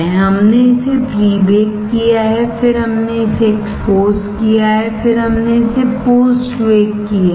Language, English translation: Hindi, We have pre baked it then we have exposed it, then we have post bake it